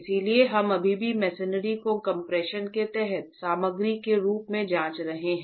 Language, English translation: Hindi, So, we are still examining the masonry as a material under compression